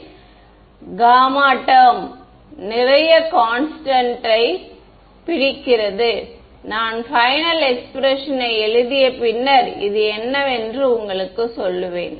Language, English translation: Tamil, So, there is a term gamma comes which captures a lot of the constants I will just write down the final expression and then tell you what this is